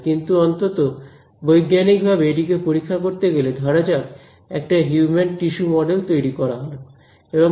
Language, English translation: Bengali, But at least one way to scientifically study it, is to build a, let us say, a model of human tissue